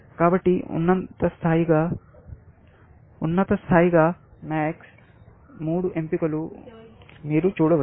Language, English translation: Telugu, So, as a top level, you can see that max has three choices